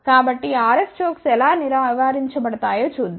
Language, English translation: Telugu, So, let us see how RF chokes have been avoided